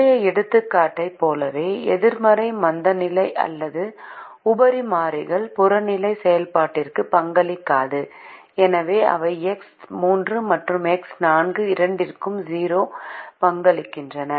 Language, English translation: Tamil, just as in the previous example, the negative slack or surplus variables do not contribute to the objective function and therefore they contribute a zero to both x three and x four